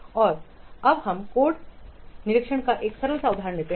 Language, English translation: Hindi, Now let's take a simple example of code inspection